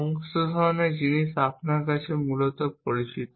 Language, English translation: Bengali, All kinds of things are known to you essentially